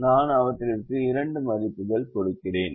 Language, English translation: Tamil, i am just giving two values to them